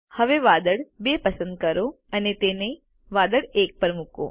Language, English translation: Gujarati, Now, select cloud 2 and place it on cloud 1